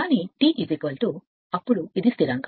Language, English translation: Telugu, But T is equal to then this is a constant this is a constant